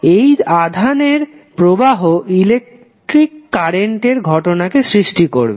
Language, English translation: Bengali, This motion of charge creates the phenomena called electric current